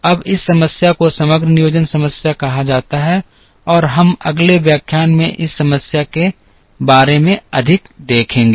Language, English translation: Hindi, Now, this problem is called the aggregate planning problem and we will see more about this problem in the next lecture